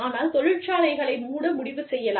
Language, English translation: Tamil, And, they may decide to go in, and shut the factory down